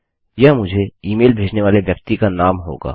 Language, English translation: Hindi, This will be the name of the person sending me the email